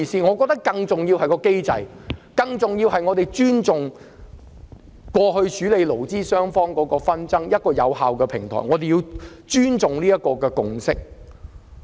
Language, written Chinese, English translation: Cantonese, 我們認為更重要的是，必須尊重勞資雙方過去處理紛爭的有效機制，亦必須尊重所取得的共識。, In our view it is more important to respect the effective mechanism under which various labour disputes have been handled in the past and we must respect the consensus thus forged